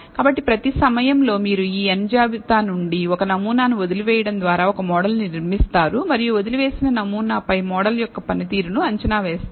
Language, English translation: Telugu, So, in every time, you build a model by leaving out one sample from this list of n samples and predict the performance of the model on the left out sample